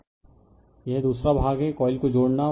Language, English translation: Hindi, This is your this is the other part linking the coil